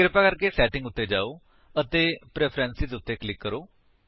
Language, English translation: Punjabi, Please go to Setting and click on Preferences